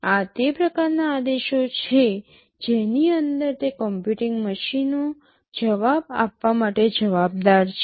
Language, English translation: Gujarati, These are the kind of commands that those computing machines inside are responsible to respond to